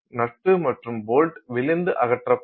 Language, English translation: Tamil, So, the nut and bolt just fall apart once you remove them